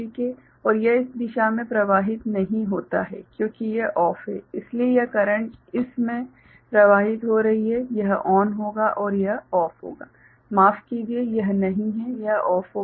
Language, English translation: Hindi, And it would not have flown in this direction because this is OFF so, this current is flowing in this so, this is will be ON and this will be OFF sorry not this one, this will be OFF right